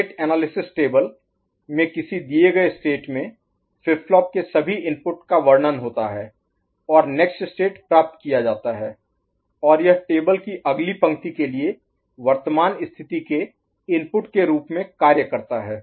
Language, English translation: Hindi, In the state analysis table, all inputs of the flip flop at a given state is described and next state is obtained and that serves as the input for current state for the next row of the table